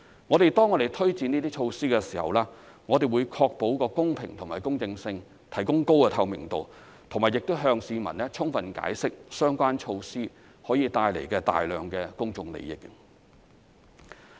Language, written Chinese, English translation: Cantonese, 我們推展這些措施的時候，會確保公平和公正性，提供高透明度，並向市民充分解釋相關措施可以帶來的大量公眾利益。, In implementing these measures we will ensure fairness and impartiality enhance transparency and explain clearly to the public the substantial public benefits to be brought by the relevant measures